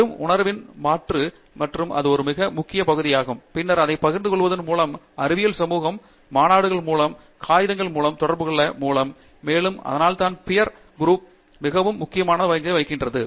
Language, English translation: Tamil, Just with a change of perceptive and that is a very important part and then comes sharing it, communicating it to the scientific community, through conferences, through papers and so on and that is why the peer community plays a very important role